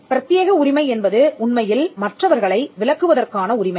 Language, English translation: Tamil, The exclusive right is actually a right to exclude others